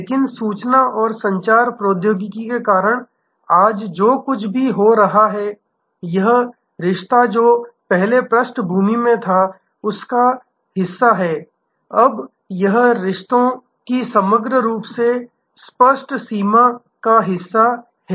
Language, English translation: Hindi, But, what is happening today due to information and communication technology, this relationship which was earlier in the back ground is now part of the, it is now part of the overall very explicit range of relationships